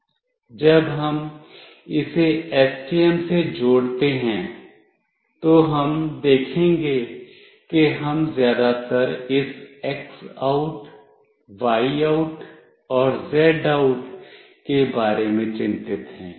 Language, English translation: Hindi, When we connect this with STM, we will be seeing that we are mostly concerned about this X OUT, Y OUT, and Z OUT